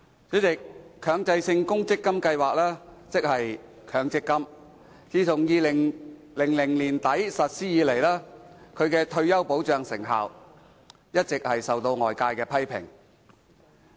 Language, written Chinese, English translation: Cantonese, 主席，強制性公積金計劃，自2000年年底實施以來，其退休保障成效一直備受外界批評。, President since the implementation of the Mandatory Provident Fund MPF scheme in late 2000 its effectiveness in providing retirement protection has been subject to public criticisms